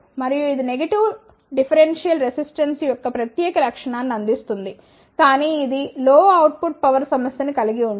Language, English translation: Telugu, And, it provides a special feature of negative differential resistance , but this suffers with the low output power